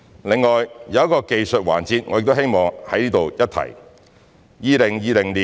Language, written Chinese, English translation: Cantonese, 此外，有一個技術環節，我希望在此一提。, In addition there is one technical aspect that I wish to mention here